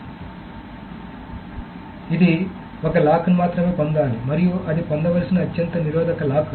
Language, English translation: Telugu, So it should get only one lock and that is the most restrictive lock that it should get